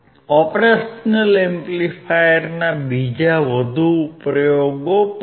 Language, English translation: Gujarati, There are more applications of operational amplifier